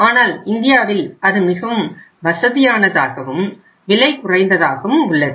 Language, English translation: Tamil, But whereas it is very very you can call it as convenient and cheap or cheapest in India